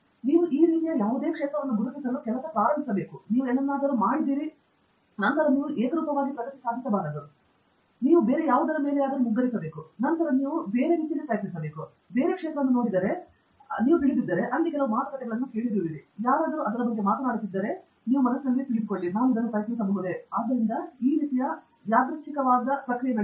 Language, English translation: Kannada, In case you kind of identify any area, start working, you do something, and then you invariably may not make progress, then you stumble on something else, then you try something else, then you see some other area, you listen to some talks, somebody is talking about that or maybe I try this; so it kind of goes randomly